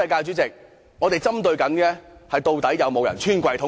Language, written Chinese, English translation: Cantonese, 我重申，我們針對的是，究竟有沒有人"穿櫃桶底"？, Let me reiterate that our focus is whether anyone has engaged in misappropriation